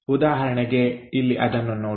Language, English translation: Kannada, For example, here let us look at that